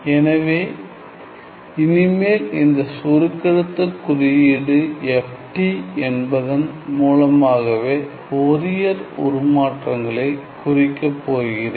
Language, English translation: Tamil, So, from now on I am going to denote my Fourier transform by this shorthand notation FT